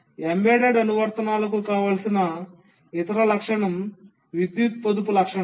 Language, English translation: Telugu, The other feature that is desirable for embedded applications is the power saving feature